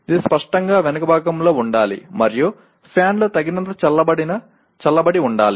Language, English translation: Telugu, It should obviously be at the back and adequately cooled with a fan or otherwise